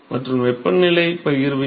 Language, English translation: Tamil, and what is the temperature distribution